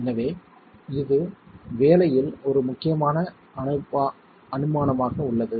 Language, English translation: Tamil, So that has been an important assumption in the work itself